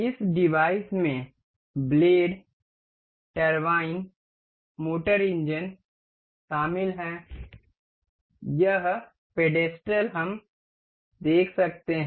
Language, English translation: Hindi, This device includes blades, turbines, motor, engine, this pedestal we can see